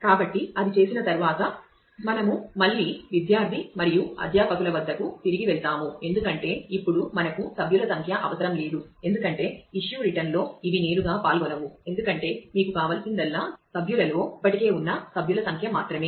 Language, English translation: Telugu, So having done that, we again go back to the student and faculty, because now we do not need member number in that anymore; because these will not directly be involved in the issue return, because all that you need is just the member number which is already there in the members